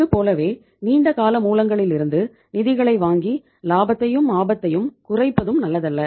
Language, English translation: Tamil, Similarly, borrowing the funds from the long term sources and reducing the profitability as well as the risk is also not good